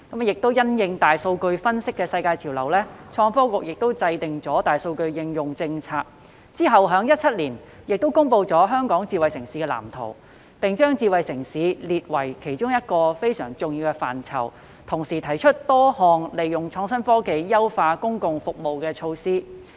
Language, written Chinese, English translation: Cantonese, 因應大數據分析的世界潮流，創新及科技局制訂大數據應用政策，政府其後在2017年公布《香港智慧城市藍圖》，並將"智慧政府"列為其中一個非常重要的範疇，同時提出多項利用創新科技優化公共服務的措施。, In response to the global trend of big data analytics the ITB will formulate policies on big data application . Subsequently in 2017 the Government published the Hong Kong Smart City Blueprint and designated Smart Government as one of the very important areas while also proposing various initiatives on enhancing public services through the application of innovative technologies